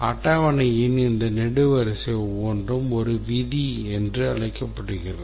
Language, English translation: Tamil, And each of these columns here is called as a rule